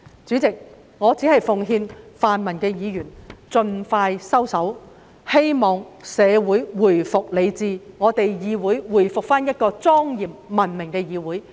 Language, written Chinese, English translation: Cantonese, 主席，我奉勸泛民議員盡快收手，讓社會回復理智，讓立法會回復為莊嚴及文明的議會。, President I advise pro - democracy Members to hold back as soon as possible so that the community can return to its senses and the Legislative Council can resume as a legislature with dignity and civility